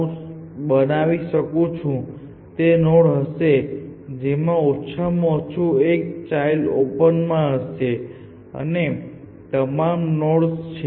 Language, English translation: Gujarati, So, the boundary nodes which are if I can draw in this colour would be these nodes which are which have at least one child in open and all other nodes